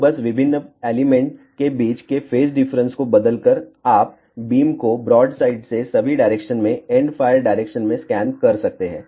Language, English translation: Hindi, And just by changing the phase difference between the different element, you can scan the beam from broadside to all the way to the endfire direction